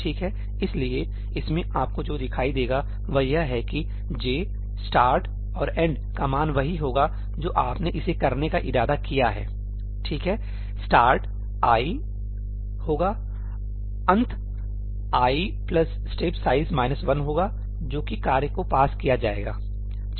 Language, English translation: Hindi, Alright, that is why in this what you will see is that the value of ëjí, ëstartíand ëendí will be just what you intended it to be ; ëstartí will be ëií, ëendí will be ëi plus STEP SIZE minus oneí that is what will be passed to the task